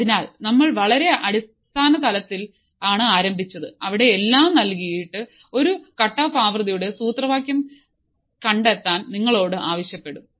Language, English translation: Malayalam, So, we have started at a very basic level where you are you are asked to find the formula of a cutoff frequency, while given everything is given